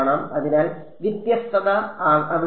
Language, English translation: Malayalam, So, differentiability is not there